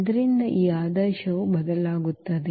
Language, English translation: Kannada, So, accordingly that order will change